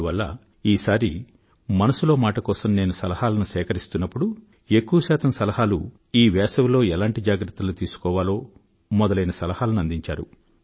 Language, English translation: Telugu, So, when I was taking suggestions for 'Mann Ki Baat', most of the suggestions offered related to what should be done to beat the heat during summer time